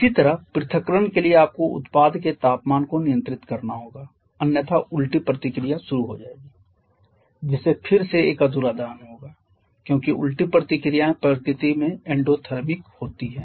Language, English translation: Hindi, Similarly therefore the dissociation you have to control the temperature of the product otherwise the reverse reaction will start that again will lead to an incomplete combustion because the reverse reactions are endothermic in nature